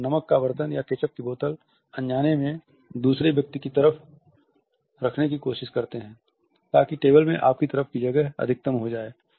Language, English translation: Hindi, Suppose this is a salt shaker or ketchup bottle unconsciously try to put it slightly over this side of the other person so, that the space on your side of the table is maximized